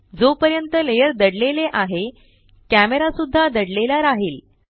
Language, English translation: Marathi, Since the layer is hidden the camera gets hidden too